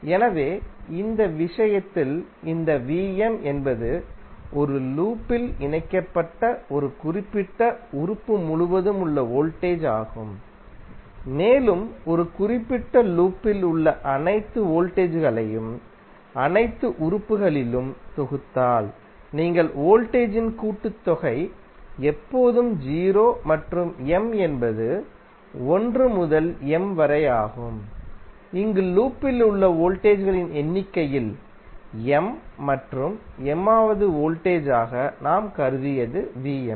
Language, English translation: Tamil, So, in this case, this V¬m¬ is the voltage across a particular element connected in a loop and if you sum up all the voltages in a particular loop across all the elements then you will get, the summation of voltage would always be 0 and m where is from 1 to M, where M in number of voltages in the loop and V¬m¬ ¬that we have considered as the mth voltage